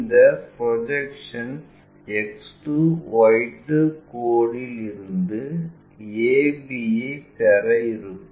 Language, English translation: Tamil, These projections from X 2 Y 2 line to get a b